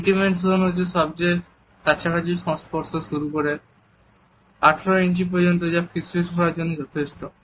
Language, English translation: Bengali, The intimate zone is from the closest possible body contact to 18 inches, which is a distance for comforting for whispering